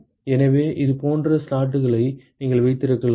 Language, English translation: Tamil, So, you can have slots like this ok